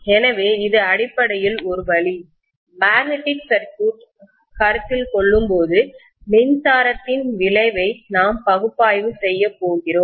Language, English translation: Tamil, So this is essentially the way we are going to analyze the effect of an electric current when we consider a magnetic circuit